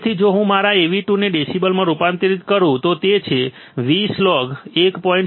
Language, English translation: Gujarati, If I convert my Av2 into decibels, I will have 20 log 4